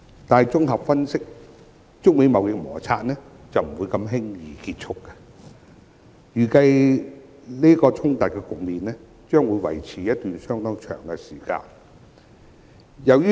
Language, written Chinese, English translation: Cantonese, 但綜合分析，中美貿易摩擦不會如此輕易結束，預計衝突局面將會維持一段相當長的時間。, Yet with a comprehensive analysis the United States - China trade conflict will not come to an end that easily and it is estimated that the conflict will persist over a rather long period of time